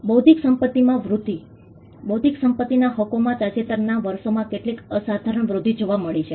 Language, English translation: Gujarati, Growth of intellectual property, intellectual property rights has witnessed some phenomenal growth in the recent years